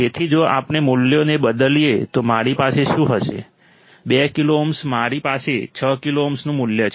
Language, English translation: Gujarati, So, if we substitute the values what will I have, 6 kilo ohm, I have value of 6 kilo ohm